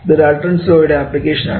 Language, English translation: Malayalam, Now, this is applying the Dalton is law